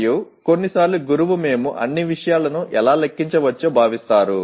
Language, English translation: Telugu, And sometimes the teacher feel how can we enumerate all the things